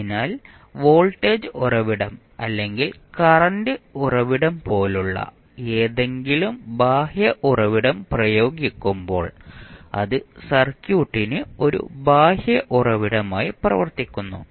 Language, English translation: Malayalam, So, that means when we apply any external source like voltage source we applied source or maybe the current source which you apply so that acts as a external source for the circuit